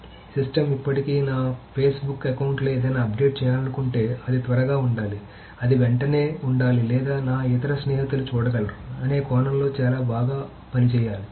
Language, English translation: Telugu, So the systems have to still perform very well in the sense that if I want to update something in my Facebook account or something, it should be quick, it should be almost immediate and my other friends should be able to see it and so on and so forth